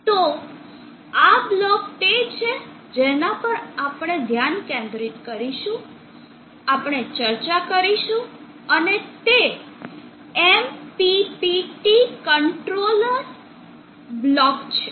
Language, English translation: Gujarati, So this block is what we will be focusing on, we will be discussing and that is the MPPT controller block